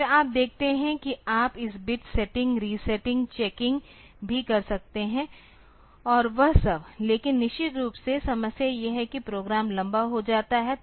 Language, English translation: Hindi, Then you see that you can also do this bit setting resetting checking and all that, but of course, the problem is that the program becomes longer